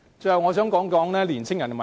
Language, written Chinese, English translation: Cantonese, 最後，我想談年青人的問題。, Finally I would like to discuss the issue concerning young people